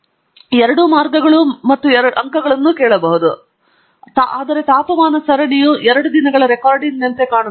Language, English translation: Kannada, I can also ask for both lines and points and so on; the story is endless; but this is how the temperature series looks like over two days of recording